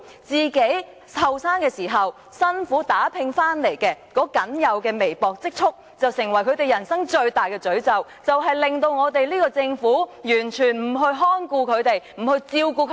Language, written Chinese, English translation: Cantonese, 他們在年青時辛苦打拼得來僅有的微薄積蓄，成為他們人生最大的詛咒，令政府完全不去看顧他們、不去照顧他們。, The meagre savings they built up by hard work in young age have become the greatest curse in their life causing the Government to completely not cater or care for them